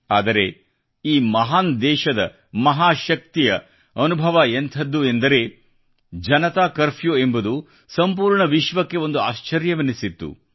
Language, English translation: Kannada, Just have a look at the experience of the might of the great Praja, people of this great country…Janata Curfew had become a bewilderment to the entire world